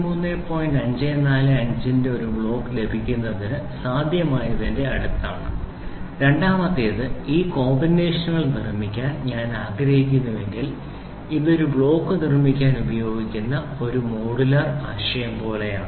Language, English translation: Malayalam, 545 getting a block of one block of this is next to possible and second thing if I want to build several of these combinations, then it is like a modular concept which is used in building up a block